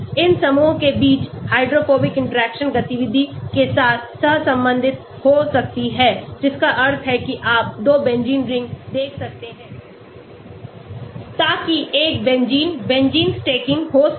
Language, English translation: Hindi, Hydrophobic interactions between these groups may correlate with activity that means you can have see two Benzene rings so there could be a Benzene Benzene stacking